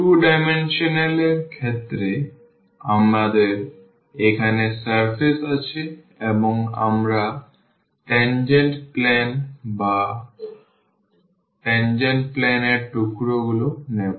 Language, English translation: Bengali, In case of the 2 dimensional so, we have the surface there and we will take the tangent plane or the pieces of the tangent plane